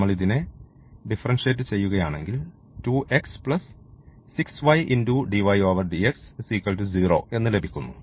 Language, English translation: Malayalam, So, if we differentiate for example, this what relation we are getting 2 x plus 6 y and dy over dx is equal to 0